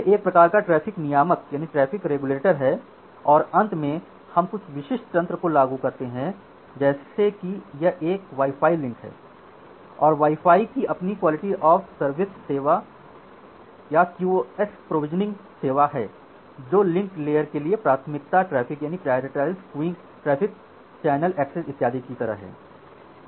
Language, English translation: Hindi, So, it is a kind of traffic regulator and finally, we apply certain link specific mechanism like if it is a wi fi links, then wi fi has their own QoS service QoS provisioning service like a prioritizing traffic for link layer, channel access and so on